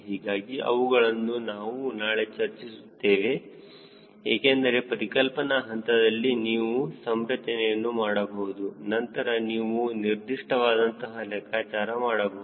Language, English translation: Kannada, so those thing i will be discussing tomorrow so that a conceptual stage, you can configure it and then finally you do a quick, accurate calculations